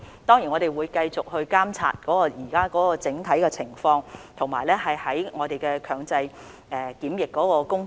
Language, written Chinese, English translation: Cantonese, 當然，我們會繼續監察現時的整體情況，以及如何繼續處理強制檢疫的工作。, Certainly we will keep monitoring the overall situation and also how work should be carried out continuously in handling compulsory quarantine